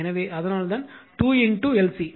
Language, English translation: Tamil, So, that is why 2 into L C